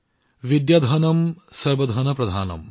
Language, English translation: Assamese, Vidyadhanam Sarva Dhanam Pradhanam